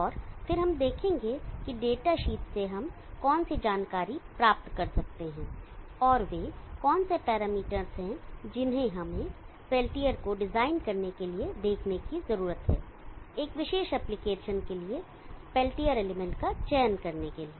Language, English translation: Hindi, And then we shall see what information that we can gain from the datasheet and what are the parameter that we need to look for in order to design the peltier, select the peltier element for a particular application